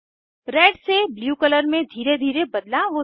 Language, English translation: Hindi, There is gradual change in the color from red to blue